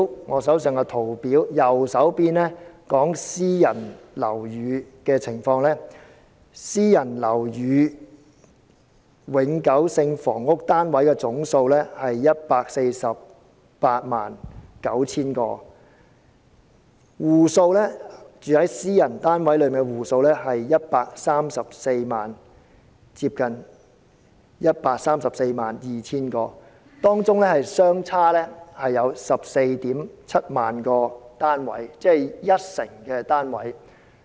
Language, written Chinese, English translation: Cantonese, 我手上圖表的右方所顯示的是私人樓宇的情況，私人樓宇永久性房屋單位的總數是 1,489 000個，居住在私人單位的戶數是接近 1,342 000個，當中相差 147,000 個單位，即一成單位。, According to the right - hand side of the chart in my hand which shows the situation of private housing the total number of private permanent housing is 1 489 000 units and nearly 1 342 000 households are living in private housing units . There is a discrepancy of 147 000 units accounting for 10 % of the total number of units